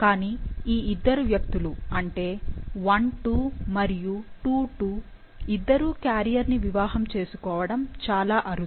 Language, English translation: Telugu, But it is very unlikely that both of the persons, that is I 2 and II 2 are marrying to a carrier